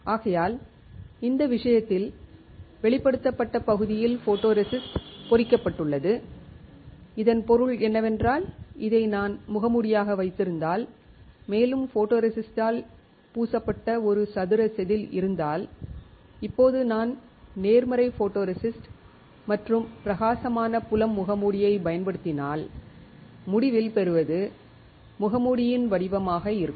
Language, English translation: Tamil, So, in this case the area which was exposed the photoresist got etched; which means, that if I have this as a mask and I have a square wafer which is coated with the photoresist; Now, if I use positive photoresist and a bright field mask then the result obtained will be the pattern on the mask